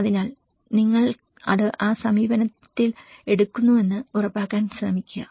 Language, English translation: Malayalam, So, try to make sure you take it in that approach